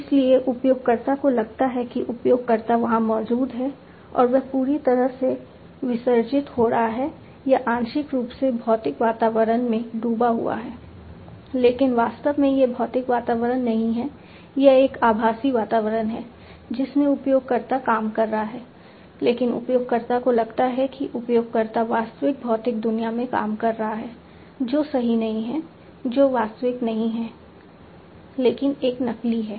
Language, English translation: Hindi, So, user feels that the user is there and he is operating completely immersed or partially immersed in the physical environment, but actually it is not a physical environment, it is a virtual environment, in which the user is operating, but the user feels that the user is operating in the real physical world, which is not correct which is not the real one, but a simulated one